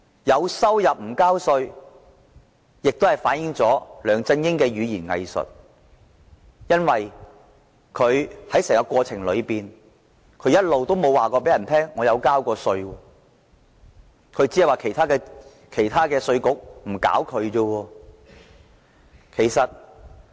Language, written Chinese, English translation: Cantonese, 有收入但不繳稅，反映了梁振英的語言"偽術"，他在整個過程中一直都沒有說他曾就這項收入繳稅，只說其他國家的稅局沒有"搞"他。, This is a case of not paying tax on an income received and it reflects LEUNG Chun - yings doublespeak . During the whole process he never said that he had paid tax on this income . He only said that the tax authorities of other countries had not taken any action against him